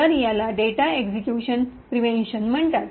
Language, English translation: Marathi, So, this is called the data execution prevention